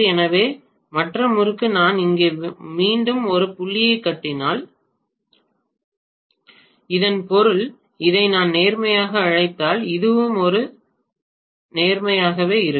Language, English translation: Tamil, So the other winding if I show again a dot here that means if I call this as positive with respect to this, this will also be positive with respect to this